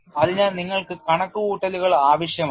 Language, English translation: Malayalam, So, for all that you need to have calculations